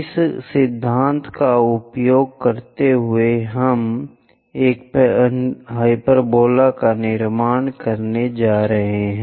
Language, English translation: Hindi, Using this principle, we are going to construct a hyperbola